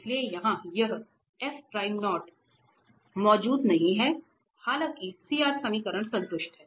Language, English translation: Hindi, So, here this f prime 0 does not exist, though the CR equations are satisfied